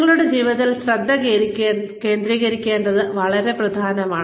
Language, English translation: Malayalam, It is very important, to focus on your life